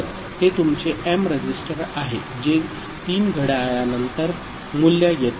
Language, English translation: Marathi, So, this is your m register which is which will be taking the value after clock 3 right